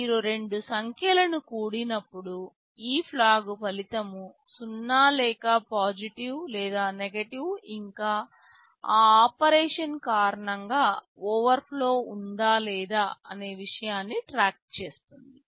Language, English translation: Telugu, When you add two numbers these flags will keep track of the fact whether the result was 0, whether the result was positive or negative, whether there was an overflow that took place because of that operation, etc